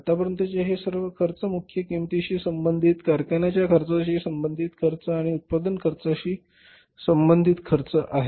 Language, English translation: Marathi, So these all expenses up till this are expenses related to the prime cost, expenses related to the factory cost and expenses related to the cost of production